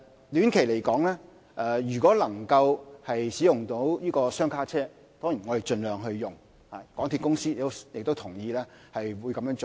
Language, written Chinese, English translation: Cantonese, 短期而言，如果可以使用雙卡車輛，當然也會盡量使用，港鐵公司亦同意這樣做。, In the short run coupled - set vehicles will be deployed as far as the situation allows and MTRCL also agrees to doing so